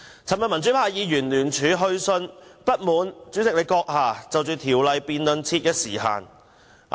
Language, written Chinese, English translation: Cantonese, 昨天，民主派議員聯署去信主席，表示不滿就《條例草案》辯論設時限。, Yesterday pro - democracy Members sent a jointly - signed letter to the President expressing their dissatisfaction about setting time limit for the debate on the Bill